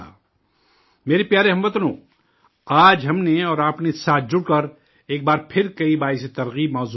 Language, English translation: Urdu, My dear countrymen, today you and I joined together and once again talked about many inspirational topics